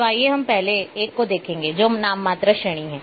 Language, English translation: Hindi, So, let us look the first one, which is the nominal attribute